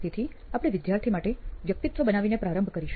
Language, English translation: Gujarati, So we will start off by creating the persona for the student